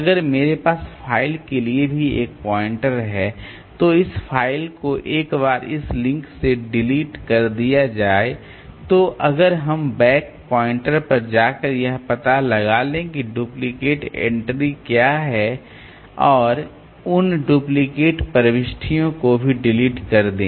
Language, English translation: Hindi, So, apart from this one, so if I also have a pointer from the file to like this, then once this file is deleted by this link then we go by this back pointers to figure out like what are the duplicate entries and delete those duplicate entries also